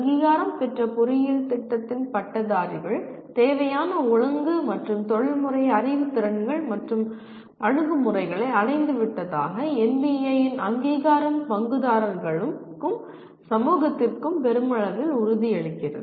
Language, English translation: Tamil, Accreditation by NBA assures the stakeholders and society at large that graduates of the accredited engineering program have attained the required disciplinary and professional knowledge skills and attitudes